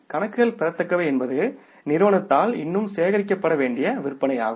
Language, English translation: Tamil, Accounts receivables are the sales which are still to be collected by the firm